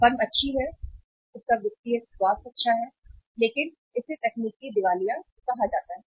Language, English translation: Hindi, Firm is good, having a good financial health but that is called as the technical insolvency